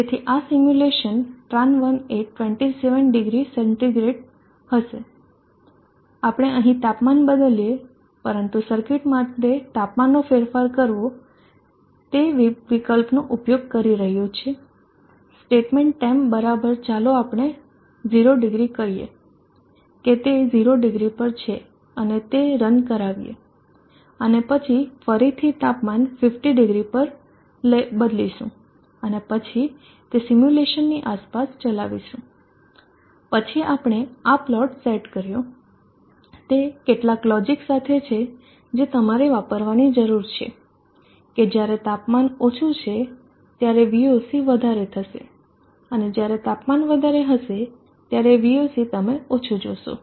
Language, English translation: Gujarati, So let us have a look at that we opened PV dot C area now we run the simulation of the circuit as it is normally default temperature is at 270 centigrade so this simulation run tran1 would be a 270C we change the temperature here but changing the temperature for the cycle is using the option statement M equals let us say 0 t 00 it is at00 and from the templates run that and then again we will change the temperature to500 and then around that simulation then we set the plot to this is some logic that you need to use you see that when the when the temperature when the temperature is lower we will be higher and when the temperature is higher we will see is lower